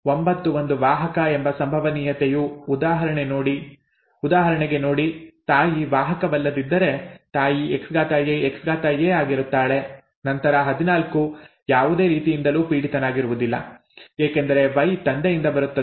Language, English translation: Kannada, The probability that 9 is a carrier, see for example, if the mother is not a carrier then the mother is XAXA, right, X capital A X capital A, then 14 will not be affected at all, okay because Y comes from the father this Xa does not matter